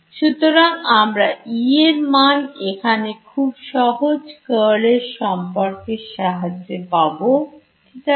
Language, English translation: Bengali, So, I can get E from here by simply the curl relation right